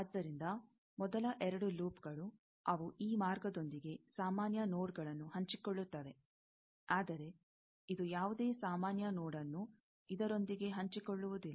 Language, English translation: Kannada, So, first two loops, they do share common nodes with this path; but this one does not share any common node with this one